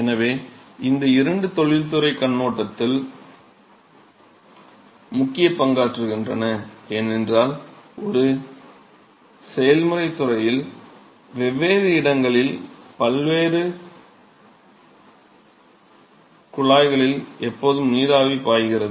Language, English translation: Tamil, So, these two they play an important role from industry point of view because there is always steam which is flowing in different locations and in different pipelines in a process industry and